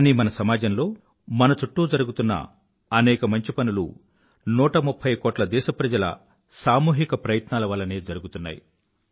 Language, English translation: Telugu, And all this has been possible through the collective efforts of a 130 crore countrymen